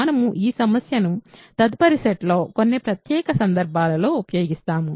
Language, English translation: Telugu, So, we will use this problem in some special cases in next set of problems